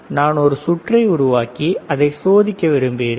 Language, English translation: Tamil, And I want to create a circuit to test the circuit